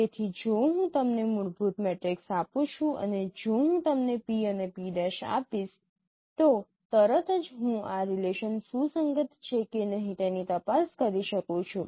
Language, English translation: Gujarati, So if I give you a fundamental matrix and if I give you p and p prime immediately I can check with this relationship whether they are compatible or not